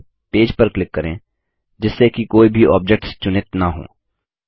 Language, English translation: Hindi, First click on the page, so that none of the objects are selected